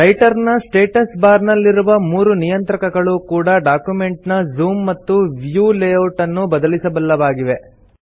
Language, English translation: Kannada, The three controls on the Writer Status Bar also allow to change the zoom and view layout of our document